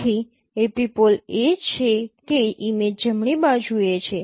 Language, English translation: Gujarati, So the epipole is image is at t